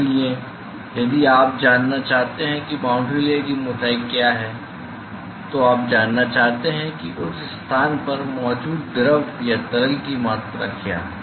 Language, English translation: Hindi, So, therefore, if you want to know what is the boundary layer thickness, you want to know what is the amount of fluid or liquid which is present in that location